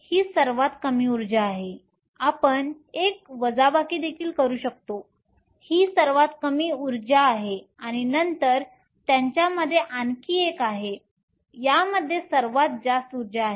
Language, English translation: Marathi, This is the lowest energy you can also do one subtraction this is the lowest energy this has the highest energy and then you have one more in between them